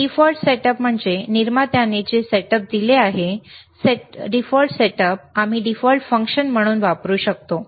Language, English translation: Marathi, Ddefault setup is whatever the setup is given by the manufacturer, default setup we can we can use as a default function